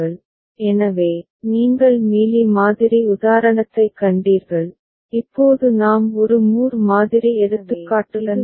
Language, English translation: Tamil, So, you have seen the Mealy model example and now we shall end with a Moore model example, right